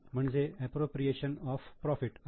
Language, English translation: Marathi, This is called as appropriation of profit